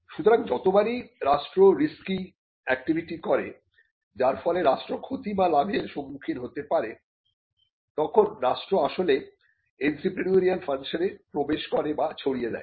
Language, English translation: Bengali, So, every time the state undertakes a risky activity, wherein it could suffer losses and it could also make gains the state is actually getting into or discharging its entrepreneurial function